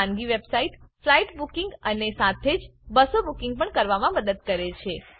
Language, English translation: Gujarati, The private website help book flight and also buses